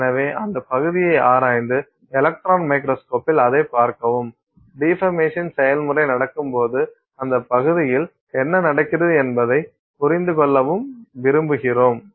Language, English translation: Tamil, So, we want to explore that area and see that in the electron microscope and try to understand what is happening in that area as the deformation process happens